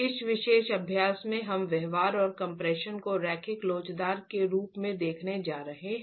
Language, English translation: Hindi, In this particular exercise we are going to be looking at the behavior in compression as being linear elastic